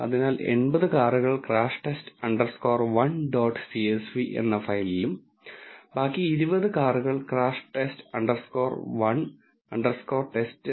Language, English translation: Malayalam, So, the 80 cars is given in crash test underscore 1 dot csv file and the remaining 20 cars is given in crash test underscore 1 underscore test dot csv